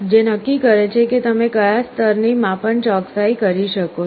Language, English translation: Gujarati, This determines to what level of accuracy you can make the measurement